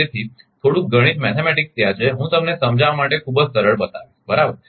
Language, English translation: Gujarati, So, little bit mathematics is there, I will show you very easy to understand right